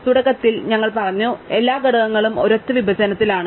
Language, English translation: Malayalam, So, initially we said every element lies in a single partition